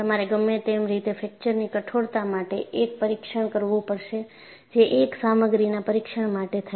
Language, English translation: Gujarati, Anyway, you will have to do a test on fracture toughness that is a material test